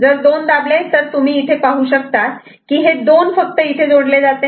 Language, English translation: Marathi, If 2 is pressed only you can see that 2 is connected here to this one